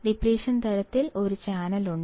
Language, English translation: Malayalam, In depletion type, there is a channel